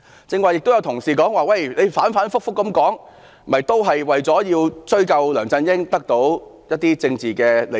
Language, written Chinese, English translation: Cantonese, 剛才也有同事說我們反覆提這事，只是為了追殺梁振英，從而得到一些政治利益。, Just now some colleagues have criticized us for bringing up the matter repeatedly because we are just trying to hunt down LEUNG Chun - ying with a view to obtaining certain political interests